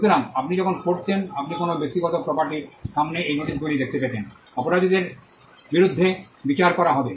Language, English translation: Bengali, So, when you would have read you would have seen these notices in front of some private property, trespassers will be prosecuted